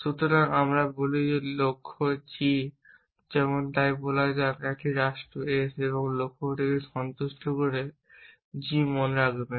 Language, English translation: Bengali, So, we say that the goal g such so let say a state S satisfies a goal g remember both of these are sets of predicates